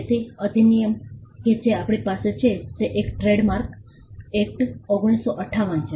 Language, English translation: Gujarati, So, the act the first act that we have is the Trademarks Act, 1958